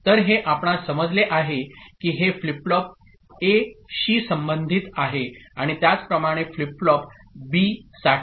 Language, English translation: Marathi, So that we understand that this is associated with flip flop A and similarly for flip flop B